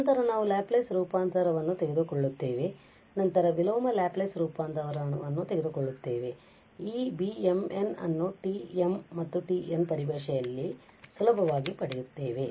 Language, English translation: Kannada, Then we take the Laplace transform and then the inverse Laplace transform and we readily gap this beta m n in terms of the gamma m n